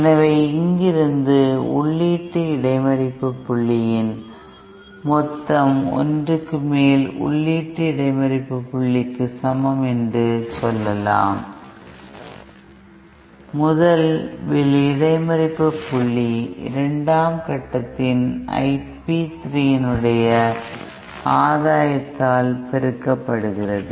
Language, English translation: Tamil, So, from here we can say that one over the input intercept point total is equal to 1 over input intercept point the first stage multiplied by the gain of the first stage over I P 3 of the second stage